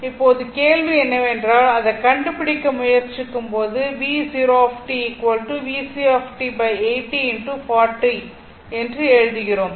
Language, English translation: Tamil, Now, question is that that ah, when we try to find out, look at look at this one right, we are writing V 0 t is equal to V C t upon 80 into 40 right